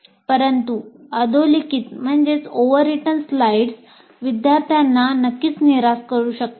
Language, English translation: Marathi, But overwritten slides can certainly demotivate the students and it happens